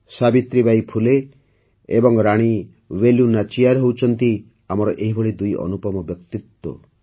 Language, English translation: Odia, Savitribai Phule ji and Rani Velu Nachiyar ji are two such luminaries of the country